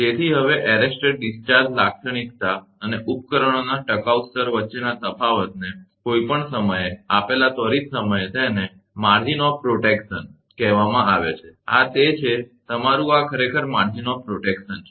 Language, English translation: Gujarati, So now, the difference between arrester discharge characteristic and equipment withstand level, at any given instant of time is called the margin of protection and this is, your this is actually margin of protection right